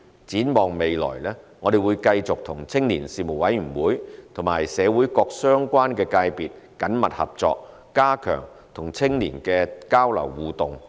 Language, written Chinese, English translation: Cantonese, 展望未來，我們會繼續與青年事務委員會及社會各相關界別緊密合作，加強與青年的交流互動。, Looking ahead we will continue to work closely with the Commission on Youth and relevant sectors of the community in enhancing exchanges and interactions with young people